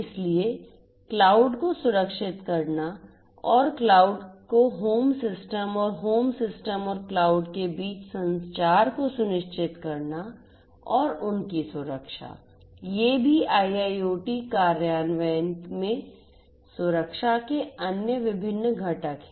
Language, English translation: Hindi, So, securing the cloud and ensuring the integration of the cloud to the home system and the communication between the home system and the cloud and their security these are also different different other components of security in IIoT implementation